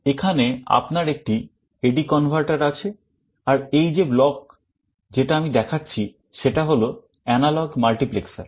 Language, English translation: Bengali, Here you have an A/D converter and this block that I am showing is an analog multiplexer